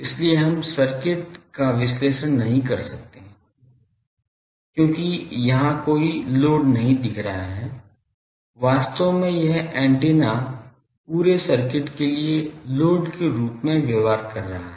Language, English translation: Hindi, So, we cannot analyze the circuit, because there is no load seen here, actually this antenna is behaving as a load to this whole circuits